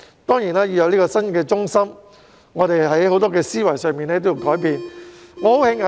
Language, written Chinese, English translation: Cantonese, 當然，香港要有新的中心，在思維上也要作出很多的改變。, Of course in order for Hong Kong to build a new centre there should be great changes in the mindset